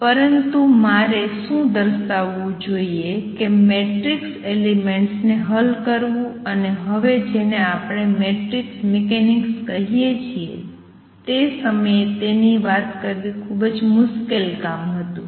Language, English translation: Gujarati, But what I should point out that solving for matrix elements and what is now we will call matrix mechanics at that time was a very tough job